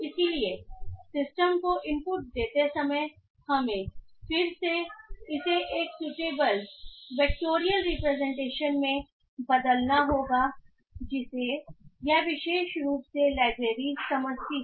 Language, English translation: Hindi, So while giving the input to the system we have to again convert it into a suitable vectorial representation that this particular library understands